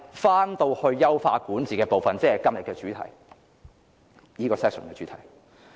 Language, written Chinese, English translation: Cantonese, 回到優化管治部分，即現時這個辯論環節的主題。, Let me return to the effort to enhance governance which is the subject matter of this debate session